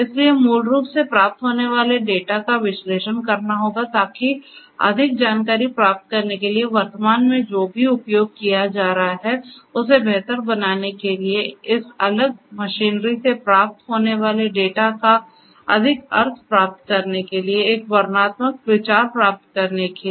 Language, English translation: Hindi, So, basically the data that are derived that data that are received will have to be analyzed in order to basically you know improve whatever is being executed at present to get more insight, to get more meaning of the data that is being received from this different machinery to get a descriptive idea of what is going on at present that is descriptive analytics